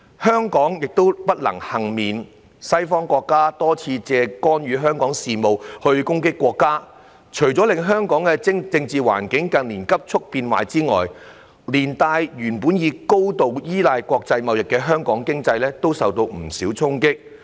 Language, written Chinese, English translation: Cantonese, 香港亦不能幸免，西方國家多次借干預香港事務攻擊國家，除了令香港政治環境近年急促變壞外，連帶原本高度依賴國際貿易的香港經濟都受到不少衝擊。, Hong Kong is not spared . Western countries have repeatedly attacked the country by interfering in Hong Kongs affairs which has not only caused the political environment in Hong Kong to deteriorate rapidly in recent years but has also dealt a blow to the economy of Hong Kong which is highly dependent on international trade